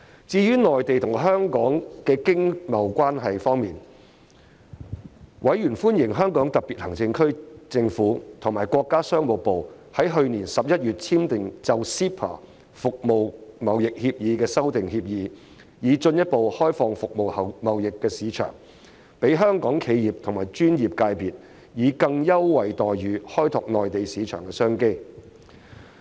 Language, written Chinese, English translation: Cantonese, 至於內地與香港的商貿關係方面，委員歡迎香港特別行政區政府與國家商務部於去年11月簽訂就 CEPA《服務貿易協議》的修訂協議，以進一步開放服務貿易的市場，讓香港企業和專業界別以更優惠待遇開拓內地市場的商機。, As regards the trade relations between the Mainland and Hong Kong the Panel welcomed the Agreement signed in November 2019 between the Hong Kong Special Administrative Region Government and the Ministry of Commerce to amend the Agreement on Trade in Services of the Mainland and Hong Kong Closer Economic Partnership Arrangement in order to further open up the services market thereby giving Hong Kong enterprises and professional sectors more preferential treatment to tap into business opportunities in the Mainland market